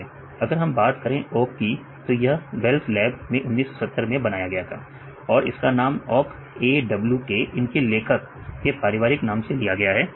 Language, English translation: Hindi, See if we talk about awk it was created in Bell Labs in 1970s right and the names came a w k that is from the family names of these authors